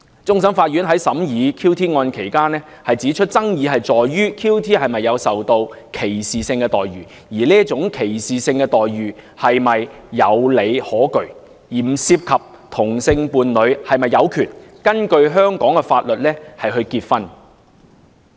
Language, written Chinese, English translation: Cantonese, 終審法院在審理 QT 案期間，指出爭議在於 QT 是否受到歧視性待遇，而這種歧視性待遇是否有理可據，並不涉及同性伴侶是否有權根據香港法律結婚。, During the trial of the QT case the Court of Final Appeal pointed out that the contested issues were whether QT received discriminatory treatment and whether such discriminatory treatment could be justified . They did not involve whether same - sex couples have a right to marry under Hong Kong law